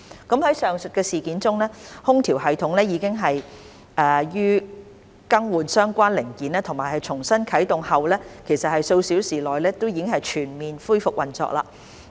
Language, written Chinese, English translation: Cantonese, 在上述事件中，空調系統已於更換相關零件及重新啟動後數小時內全面恢復運作。, In the above mentioned incidents with the relevant parts replaced and the system restarted the Markets air - conditioning system has resumed operation in full within a few hours